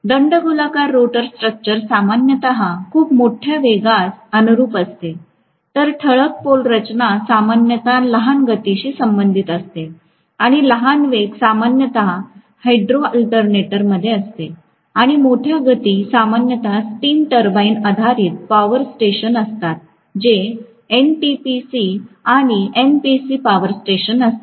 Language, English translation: Marathi, Cylindrical rotor structure generally conforms to very large velocity, whereas salient pole structure generally will correspond to smaller velocities and smaller speeds are generally in hydro alternator and larger speeds are normally in steam turbine based power stations that is NTPC and NPC power station